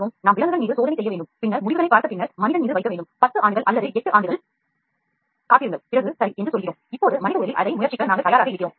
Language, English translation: Tamil, So, then what we will do is we will have to do the trial on animal, then see that see the performance then put it on man wait for 10 years or 8 years whatever it is and then we say ok now it is worthwhile trying in the human body